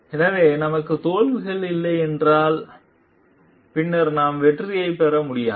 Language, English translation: Tamil, So, if we are not having failures, then we cannot have success later on